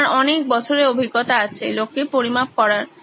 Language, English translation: Bengali, You have years of experience measuring you know people up